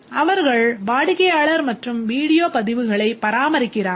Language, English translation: Tamil, The staff maintain the customer and video information